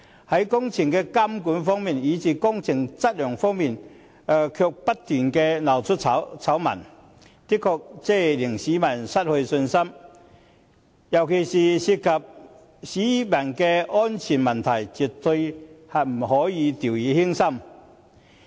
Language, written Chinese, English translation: Cantonese, 在工程監管及工程質量方面，不斷鬧出醜聞，的確令市民失去信心，尤其是工程涉及市民的安全問題，絕對不可以掉以輕心。, The series of scandals surrounding project supervision and project quality have indeed dampened public confidence and particularly when the project has a bearing on peoples safety we must not relax our vigilance in any event